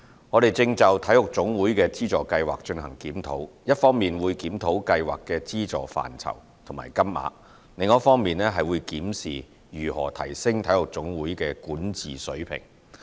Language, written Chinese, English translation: Cantonese, 我們正就體育總會的資助計劃進行檢討，一方面會檢討計劃的資助範疇及金額，另一方面檢視如何提升體育總會的管治水平。, We are currently reviewing our Subvention Scheme for national sports associations NSAs . On the one hand we will review the scope and amount of subvention under the Subvention Scheme . On the other hand we will examine how to enhance the corporate governance of NSAs